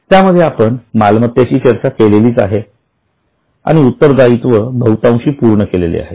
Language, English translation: Marathi, Within that we have already discussed asset and almost completed the liability